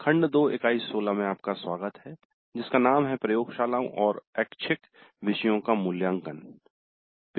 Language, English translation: Hindi, Greetings, welcome to module 2, unit 16 evaluating laboratory and electives